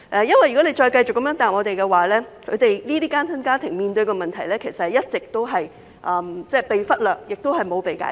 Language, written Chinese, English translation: Cantonese, 如果政府繼續這樣答覆我們，這些單親家庭面對的問題其實一直被忽略，亦未能解決。, If the Government continues to give us such a reply problems faced by these single - parent families will only be ignored and fail to be solved